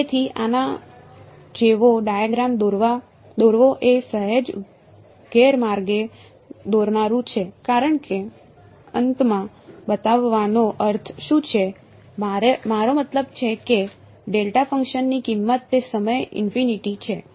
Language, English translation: Gujarati, So, to draw a diagram like this is slightly misleading because what is it mean to show in infinite I mean, the value of the delta function is infinity at that point